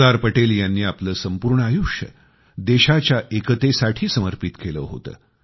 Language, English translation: Marathi, Sardar Patel dedicated his entire life for the unity of the country